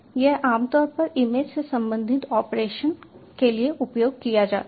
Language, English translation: Hindi, this is generally used for image related operations